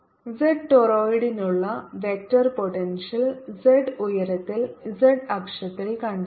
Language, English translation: Malayalam, find the vector potential for this torrid on the z axis at height z